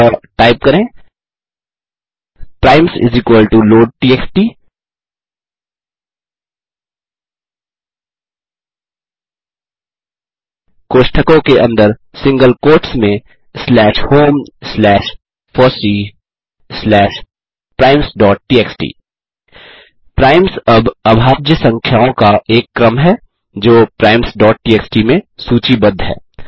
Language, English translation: Hindi, So type primes = loadtxt within bracket in single quotes slash home slash fossee slash primes.txt primes is now a sequence of prime numbers, that was listed in the file,``primes.txt``